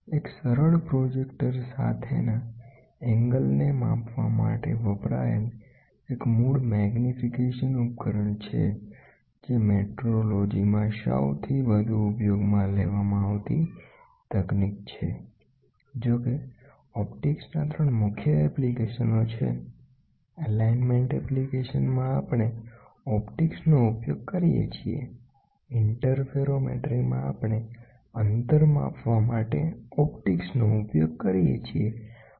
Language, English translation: Gujarati, A simple projector is a basic device used for measuring angles with optical magnification is one of the most widely used technique in metrology; however, optics has 3 major applications, in alignment application we use optics, in interferometry we use optics for measuring the distance